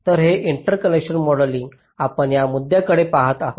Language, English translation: Marathi, so this interconnection modeling, we shall be looking basically into these issues